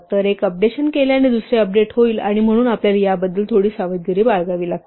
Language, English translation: Marathi, So, updating one will update the other, and so we be have little bit careful about this